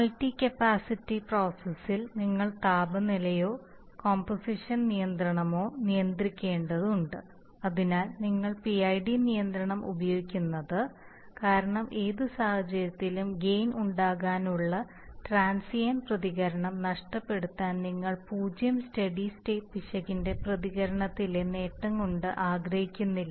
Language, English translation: Malayalam, Where you have to control temperature then, you temperature or composition control that is why you use PID control because in any case you do not want to lose out too much on the transient response to gain the advantage in the steady state response of zero steady state error